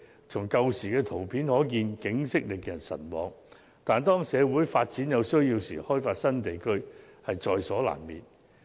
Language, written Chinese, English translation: Cantonese, 從以往的圖片可見，景色令人神往，但當社會有需要發展時，開發新地區也是在所難免的。, Although we can see from the old pictures that the scenic view there was awesome the opening up of new areas is inevitable when society needs to develop